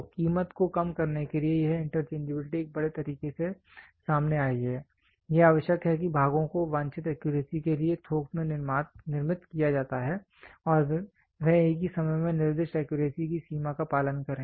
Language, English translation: Hindi, So, in order to reduce the price this interchangeability has come up in a big way, it is essential that the parts are manufactured in bulk to the desired accuracy and at the same time adhere to the limits of accuracy specified